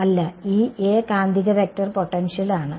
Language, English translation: Malayalam, No, this A is the magnetic vector potential